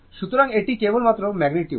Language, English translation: Bengali, So, it is magnitude only